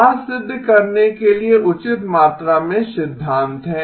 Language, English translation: Hindi, There is a fair amount of theory to prove that